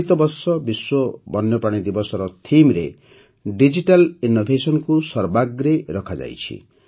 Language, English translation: Odia, This year, Digital Innovation has been kept paramount in the theme of the World Wild Life Day